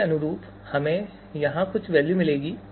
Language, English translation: Hindi, So corresponding to this will get some value here